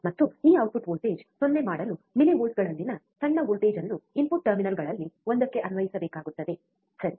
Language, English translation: Kannada, And to make this output voltage 0, a small voltage in millivolts a small voltage in millivolts is required to be applied to one of the input terminals, alright